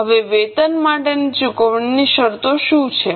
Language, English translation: Gujarati, Now what are the terms of payments for wages